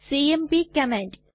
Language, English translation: Malayalam, The cmp command